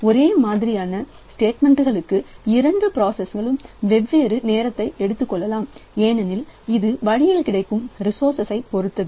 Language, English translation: Tamil, Maybe for the same type of statement two processes may take different amount of time because it is very much dependent on the resources available in the OS